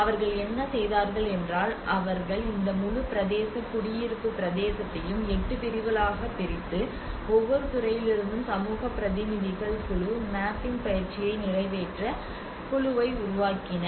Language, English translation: Tamil, And that what they did was they divided this whole territory residential territory into 8 sectors and the community representatives from each sector formed the group to accomplish the group mapping exercise